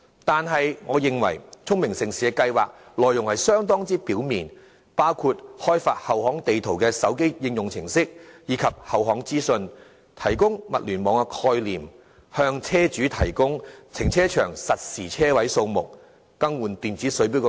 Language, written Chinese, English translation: Cantonese, 但是，我認為聰明城市的計劃內容流於表面，包括開發後巷地圖的手機應用程式及後巷資訊、提供"物聯網"概念、向車主提供停車場實時車位數目，以及更換電子水電錶等。, Yet in my opinion the contents of the Smart City project seem quite superficial including the development a smartphone application software with roadmaps of and information of back alleys the concept of Internet on Things provision of real - time parking vacancy information to vehicle owners replacing old water meters and electric meters with smart meters etc